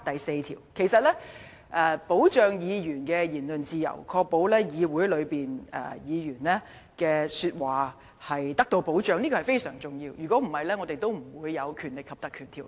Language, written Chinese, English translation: Cantonese, 事實上，保障議員的言論自由，確保他們在議會內的說話得到保障是非常重要的，否則，我們也不會制定《條例》。, As a matter of fact it is very important to safeguard Members freedom of speech and ensure that their delivery of speeches in this Council is protected . If not we would not have enacted the Ordinance